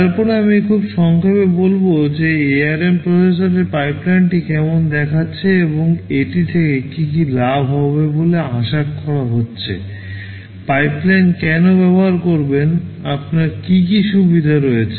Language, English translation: Bengali, Then I shall very briefly tell how the pipeline in the ARM processor looks like, and what is expected to be gained out of it, why do use pipeline, what are the advantages that you have out of it